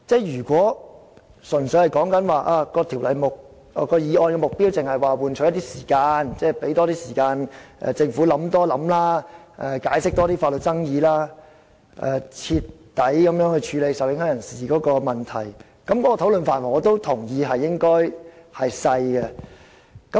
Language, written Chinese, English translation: Cantonese, 如果說議案的目的純粹是想換取一些時間，讓政府有多些時間考慮、多解釋法律上的爭議，以及全面處理受影響人士的問題，我也同意討論範圍狹窄。, If the purpose of moving the motion is merely to buy time so that the Government will have more time to consider the matter further understand the legal arguments and fully address the problems of those affected then I agree that the scope of discussion is narrow